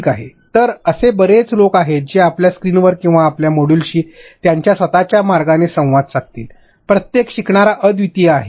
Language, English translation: Marathi, So, there are different people who would interact with your screen or with your module in their own way, every learner is unique